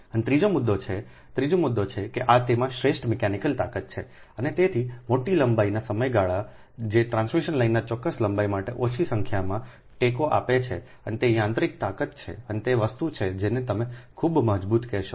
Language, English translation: Gujarati, and third point is, and the third point is, it has superior mechanical strength and hence span of larger lengths, which result in smaller number of supports for a particular length of transmission line and is mechanism mechanical strength is a or this thing, what you call, ah, your superior, very strong